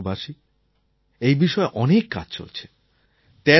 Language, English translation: Bengali, My dear fellow citizens, there is a lot of work being done in this direction